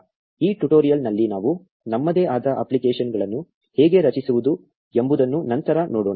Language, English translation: Kannada, We will see how to create our own apps later in this tutorial